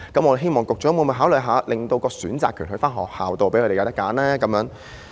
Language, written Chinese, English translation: Cantonese, 我希望局長考慮一下，令選擇權在學校，讓他們有所選擇。, I hope the Secretary will consider this and allow schools to have the right to choose